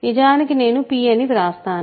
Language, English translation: Telugu, So, actually maybe I will write p